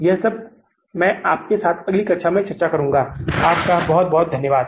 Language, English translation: Hindi, This all I will discuss with you in the next class